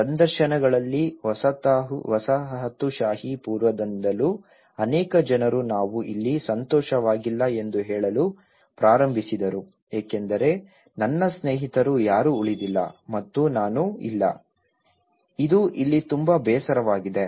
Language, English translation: Kannada, In the interviews, many of the people even from the pre colonial side they started saying we are not happy here because none much of my friends they are left and we are not, itÃs very boring here